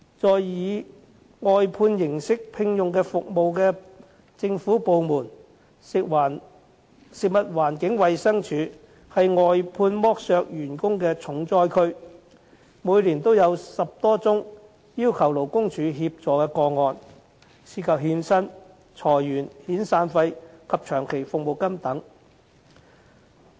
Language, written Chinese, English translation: Cantonese, 在以外判形式聘用服務的政府部門中，食物環境衞生署是外判剝削員工的重災區，每年都有10多宗要求勞工處協助的個案，涉及欠薪、裁員、遣散費及長期服務金等。, Of the government departments whose provision of services is outsourced the Food and Environmental Hygiene Department is a major disaster area in terms of exploitation of workers of outsourced services as there are 10 - odd cases seeking assistance from the Labour Department LD every year involving default on payment of wages layoffs severance payment and long service payment